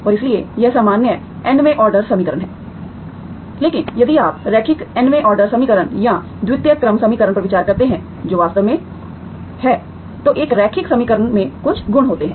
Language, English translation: Hindi, And so that is general nth order equation but if you consider linear nth order equation or second order equation, that is actually, a linear equation has certain properties